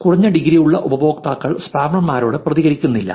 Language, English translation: Malayalam, Users with low integrity do not reciprocate to links from spammers